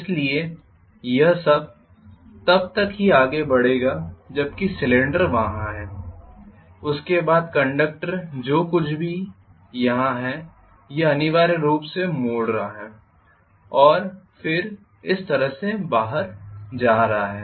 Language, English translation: Hindi, So this will extent only as long as the cylinder is there after that the conductor whatever the portion here, this portion is essentially folding up and then coming out like this